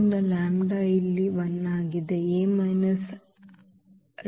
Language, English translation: Kannada, So, lambda is 1 here so, A minus 1 x is equal to 0